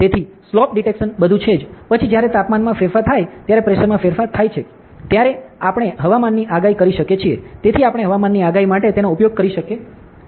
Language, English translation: Gujarati, So, slope detection everything, then we can do weather forecast ok so, when temperature changes there will be change in pressure, so we can use it for weather forecast ok